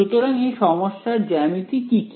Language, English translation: Bengali, So, what is the sort of geometry of this physical problem